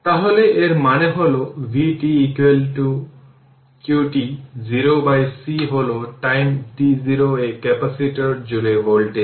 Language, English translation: Bengali, So that means, v t 0 is equal to qt 0 by c is the voltage across the capacitor at time t 0